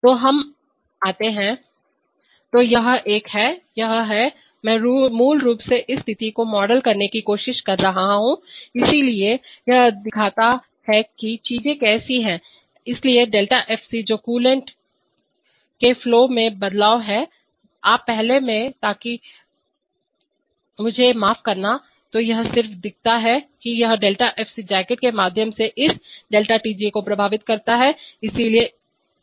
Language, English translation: Hindi, So we come to the, so this is a, this is, this is a, this is, I am trying to model that situation basically, so it shows how things are, so ΔFC which is a change in the flow of the coolant, first in you, so that, excuse me, so this just shows that this ΔFC affects this ΔTJ through the jacket